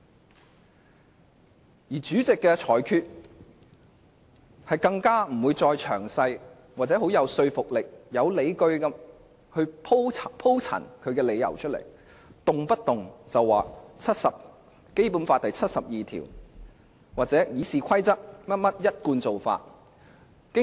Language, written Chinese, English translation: Cantonese, 更甚的是，主席在作出裁決時並不會詳細或很有說服力地鋪陳其理由，動輒便說他是根據《基本法》第七十二條或按《議事規則》的一貫做法行事。, What is more when the President makes a ruling he does not provide detailed or convincing explanations . He often says that he is acting in accordance with Article 72 of the Basic Law or the usual practice under RoP